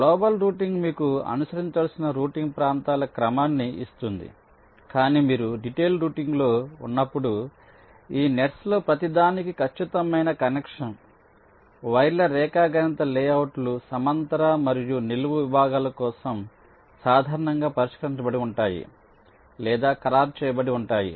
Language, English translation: Telugu, so global routing will give you the sequence of routing regions that need to be followed, but once you are in the detailed routing step, for each of these nets, the exact connection, the geometrical layouts of the wires, horizontal and vertical segments